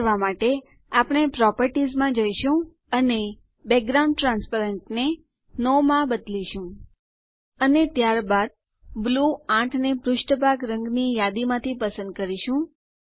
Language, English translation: Gujarati, To do this, we will go to the properties and change the Background transparent to No, And then select Blue 8 from the list for Background colour